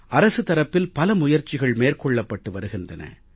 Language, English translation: Tamil, There are many efforts being made by the government